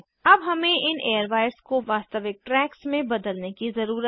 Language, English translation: Hindi, Now we need to convert these airwires in to actual tracks